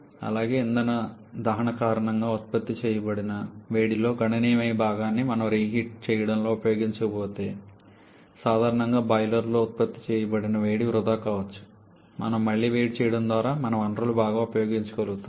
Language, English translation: Telugu, Also, generally the heat that is produced the boiler if we are not using reheating a significant part of that heat produced because of the fuel combustion may get wasted so we are also able to make better utilization of our resources by the reheating